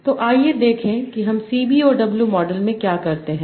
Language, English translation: Hindi, So, this is the opposite of CBOW model